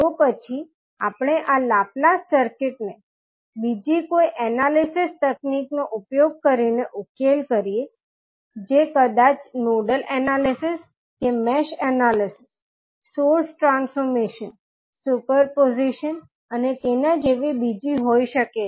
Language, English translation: Gujarati, And then we solve this circuit laplace using any circuit analysis technique that maybe nodal analysis or mesh analysis, source transformation superposition and so on